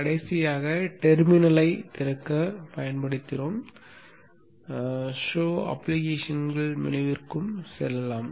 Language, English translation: Tamil, Last time we had used the terminal to open but we could also go into the show applications menu